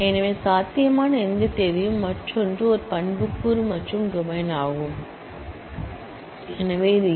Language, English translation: Tamil, So, any possible date, other is an attribute and this is the domain, which is A